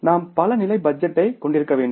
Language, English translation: Tamil, We have to have multiple level of budgeting